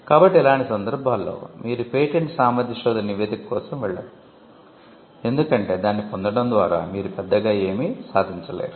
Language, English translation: Telugu, So, in in all these cases you would not go in for a patentability search report, because there is nothing much to be achieved by getting one